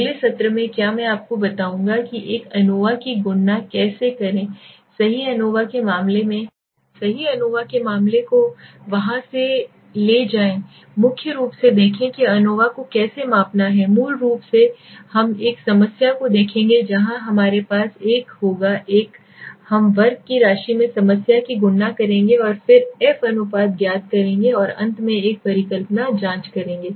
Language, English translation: Hindi, In the next session what I will do is will explain you how to calculate a ANOVA right take a case of ANOVA in there we will see key how to measure ANOVA basically we will look at a problem where we will have a we will calculate the problem in the sum of square and then find out the f ratio and finally check a hypothesis right